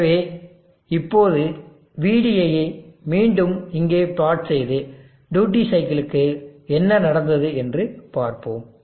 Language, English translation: Tamil, So now let me plot VD again here and see what is happened to the duty cycle